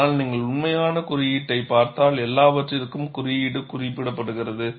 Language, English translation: Tamil, But if you really look at the code, for everything the code specifies